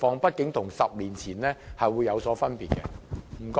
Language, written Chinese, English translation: Cantonese, 畢竟現在與10年前的情況有所分別。, After all the present situation is different from that 10 years ago